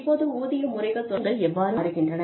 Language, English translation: Tamil, Now, how are philosophies, regarding pay systems changing